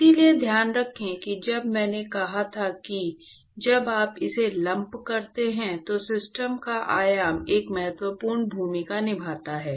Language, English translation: Hindi, So, keep in mind that when I said when you lump it, the dimension of the system plays an important role